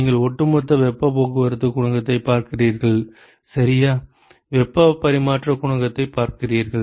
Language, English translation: Tamil, You are looking at overall heat transport coefficient right, you are looking at average heat transfer coefficient